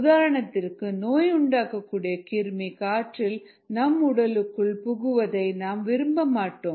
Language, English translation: Tamil, for example, you dont want an infectious organism that is present in the air to get into your body